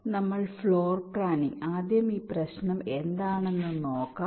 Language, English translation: Malayalam, so floor planning, let us first see what this problem is all about